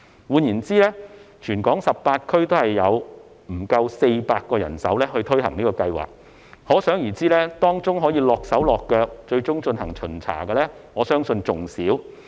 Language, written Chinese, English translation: Cantonese, 換言之，全港18區只有不足400個人手推行計劃，可想而知，當中可"落手落腳"，最終進行巡查的人手，我相信會更少。, In other words only less than 400 officers will be involved in implementing the scheme in the 18 districts across Hong Kong . Therefore it can be imagined that the number of staff who will actually do the work and eventually conduct inspections would in my opinion be even smaller